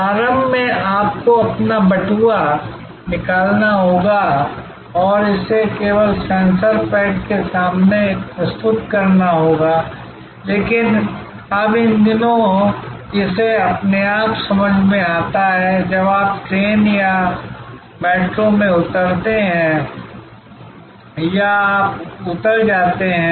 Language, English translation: Hindi, Initially, you have to take out your wallet and just present it in front of the sensor pad, but nowadays it just senses as you get on to the train or metro or you get off